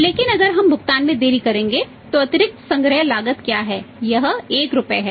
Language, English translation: Hindi, But if we delays the payment so what is the additional collection cost that is 1 rupee